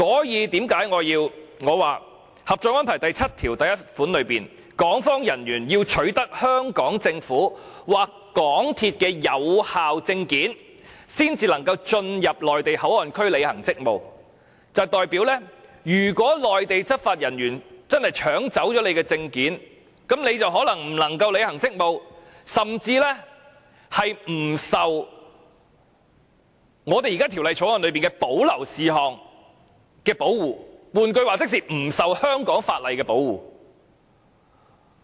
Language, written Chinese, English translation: Cantonese, 因此，《合作安排》第七1條訂明，港方人員須取得香港政府或香港鐵路有限公司的有效證件，才能進入內地口岸區履行職務，這代表如果內地執法人員真的搶去港方人員的證件，那麼他們便可能無法履行職務，甚至不受《條例草案》中的保留事項的保護，換言之，是不受香港法例保護。, Under Article 71 of the Co - operation Arrangement it is stipulated that personnel of the Hong Kong authorities must possess valid permits issued by the Hong Kong Government or the MTR Corporation Limited MTRCL to enter MPA to perform duties . This means that if Mainland law enforcement officers confiscate the documents of personnel of the Hong Kong authorities the personnel affected cannot perform their duties and they may be excluded from the protection of the reserved matter under the Bill . In other words the personnel affected will not be protected by the laws of Hong Kong